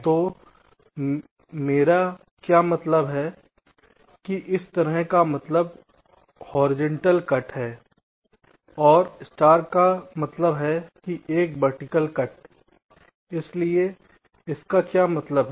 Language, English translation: Hindi, so what i mean is that this plus means a horizontal cut and the star means a vertical cut